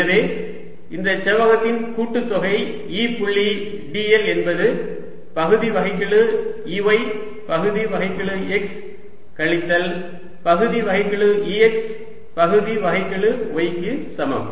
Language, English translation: Tamil, so summation: e dot d l over this rectangle is equal to partial e y, partial x minus partial e x, partial y